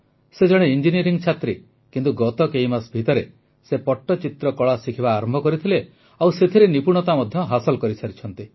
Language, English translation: Odia, Although she is a student of Engineering, in the past few months, she started learning the art of Pattchitra and has mastered it